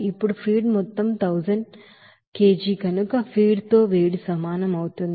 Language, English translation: Telugu, Now heat with feed that will be is equal to since feed amount is 100 kg